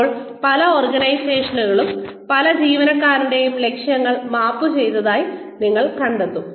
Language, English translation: Malayalam, Now, many organizations, you will find that, the goals of every single employee are mapped